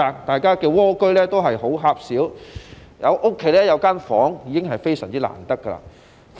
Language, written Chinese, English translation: Cantonese, 大家的"蝸居"也很狹小，家中有一個房間已是非常難得。, People live in very small snail homes and it is considered a great blessing to have a bedroom in ones home